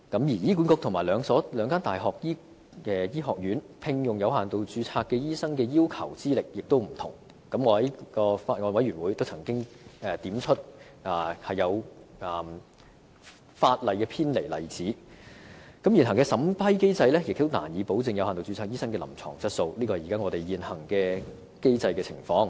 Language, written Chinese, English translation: Cantonese, 醫管局和兩間大學醫學院聘用有限度註冊醫生所要求的資歷亦有不同，我在法案委員會的會議上亦曾經指出一些偏離法例的例子，而現行審批機制亦難以保證有限度註冊醫生的臨床質素，這便是我們現行機制的情況。, The qualifications required of doctors with limited registration employed by HA and the medical schools of the two universities are also different . At meetings of the Bills Committee I also pointed out some examples of departure from the law and it is difficult for the existing vetting and approval mechanism to guarantee the clinical quality of doctors with limited registration . This is the situation of our existing mechanism